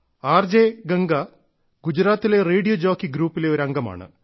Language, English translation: Malayalam, RJ Ganga is a member of a group of Radio Jockeys in Gujarat